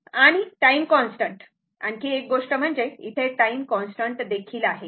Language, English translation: Marathi, And time constant; one more thing is there time constant is also there, right